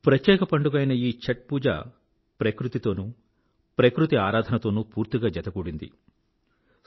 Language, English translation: Telugu, The unique festival Chhath Pooja is deeply linked with nature & worshiping nature